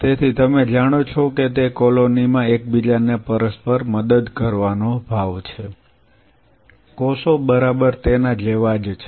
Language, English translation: Gujarati, So, you know so it is kind of mutually helping each other in a colony, cells are exactly like that